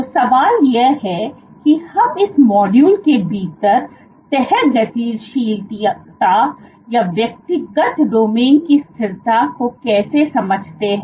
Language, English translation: Hindi, So, the question is how do we understand how the folding dynamics or the stability of individual domains within this module